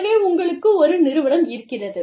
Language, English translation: Tamil, So, you have an organization